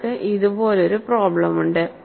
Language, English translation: Malayalam, So, you have a problem like this